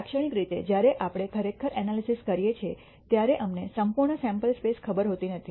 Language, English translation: Gujarati, Typically, when we are actually doing analysis we do not know the entire sam ple space